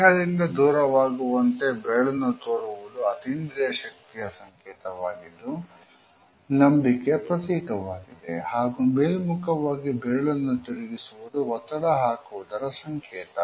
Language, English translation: Kannada, Pointing the finger away from the body is known in occult circles as the sign of faith, while pointing upwards is the sign of persuasion